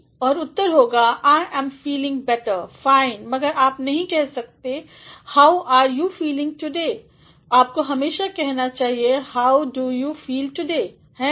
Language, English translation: Hindi, And, the response will be I am feeling better fine, but you cannot say how are you feeling today, you should always say how do you feel today, isn’t it